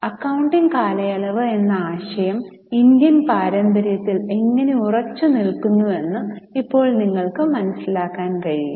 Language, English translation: Malayalam, Now you can here understand how the concept of accounting period is very firmly rooted in Indian tradition